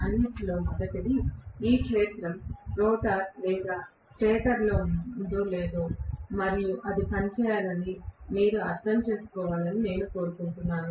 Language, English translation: Telugu, First of all, I want you guys to understand that whether the field is housed in the rotor or stator it should work, there is no problem